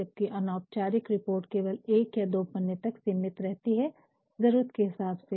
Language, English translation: Hindi, Whereas, an informal report will confine itself to 1 to 2 or 3 pages depending upon the need fine